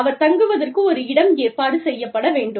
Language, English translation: Tamil, A place of stay, has to be arranged